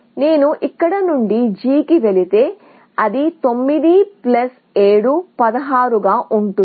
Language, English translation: Telugu, If I go to G from here, it is going to be 9 plus 7, 16